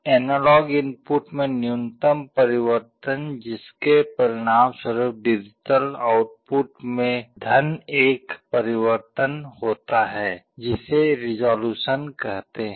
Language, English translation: Hindi, The minimum change in the analog input which will result in a change in the digital output by +1 is resolution